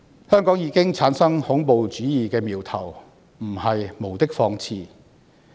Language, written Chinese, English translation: Cantonese, 香港已經產生恐怖主義的苗頭，絕對不是無的放矢。, Signs of terrorism have been shown in Hong Kong and this is absolutely not a groundless allegation